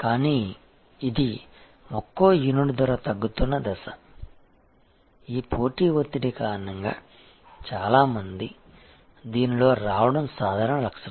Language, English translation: Telugu, But, this is stage where price per unit is going down, because of this competitive pressure many people coming in this is the normal feature